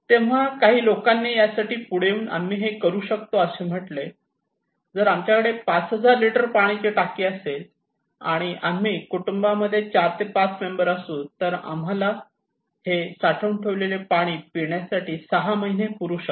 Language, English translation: Marathi, So, some people came up with that okay, we can do it, if we have around 5000 litre water tank, then if 4 and 5 members family can easily run 6 months with this preserved water for drinking purpose, okay